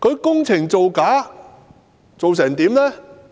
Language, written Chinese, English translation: Cantonese, 工程造假是甚麼情況呢？, What fraudulent practices were involved in the construction works?